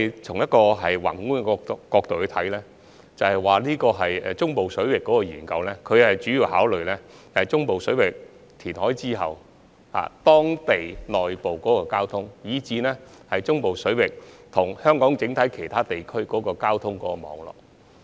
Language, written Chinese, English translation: Cantonese, 從宏觀角度來看，中部水域人工島相關研究主要考慮中部水域填海後，當地內部交通情況，以至中部水域與香港其他地區的交通網絡。, From a macro perspective the studies related to artificial islands in the central waters mainly concern following the completion of reclamation in the central waters local traffic conditions there and the transport network connecting the central waters and other areas of Hong Kong